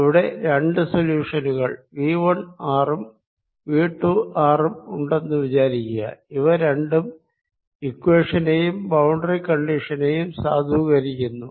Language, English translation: Malayalam, let us assume there are two solutions: v one, r and v two are both satisfying this equation and both satisfying the same boundary conditions